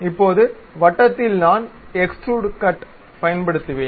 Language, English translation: Tamil, Now, on the circle I will go use Extrude Cut